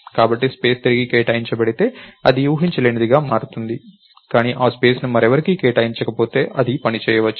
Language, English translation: Telugu, So, the space if its reallocated this becomes unpredictable, but if the space is not reallocated to anyone else, it might work